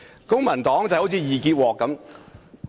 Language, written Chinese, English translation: Cantonese, 公民黨好像"易潔鍋"......, The Civic Party is like an easy - to - clean cookware